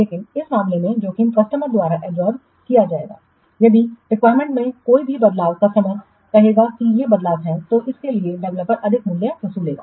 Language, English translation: Hindi, If any change, customer in the requirements, customer will say that these are the changes and for that the developer will charge extra price